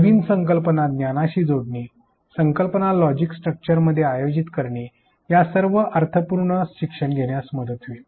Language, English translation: Marathi, Connecting new ideas to knowledge, organizing ideas into a logical structure all of which will lead to meaningful learning